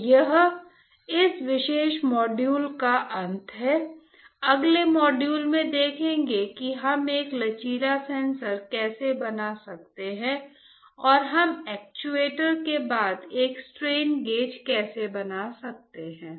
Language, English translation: Hindi, So, this is the end of this particular module let us see in the next module how can we fabricate a flexible sensor and how can we fabricate a strain gauge followed by the actuators